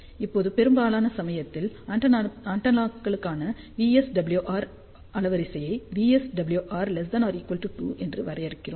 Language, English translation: Tamil, Now, majority of the time for antennas, we define VSWR bandwidth for VSWR less than or equal to 2